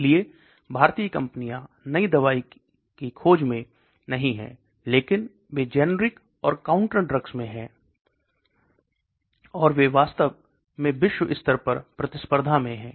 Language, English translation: Hindi, So Indian companies are not into new drug discovery, but they are into the generics and over the counter drugs, and they are really competing globally